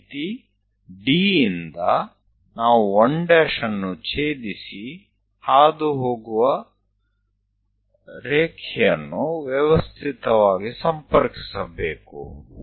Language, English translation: Kannada, Similarly, D onwards, we have to systematically connect it a line which is passing through 1 prime going to intersect there